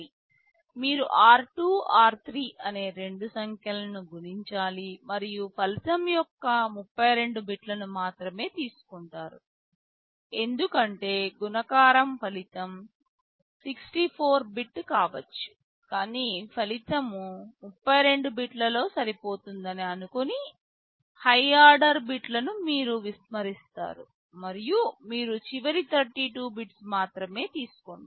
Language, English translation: Telugu, You multiply the two numbers r2, r3 and you take only 32 bits of the result because multiplication result can be 64 bit, but you ignore the high order bits you assume that the result will fit within 32 bits and you take only the last 32 bits